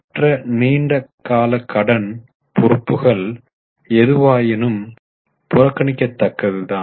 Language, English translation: Tamil, Other long term liabilities are any way negligible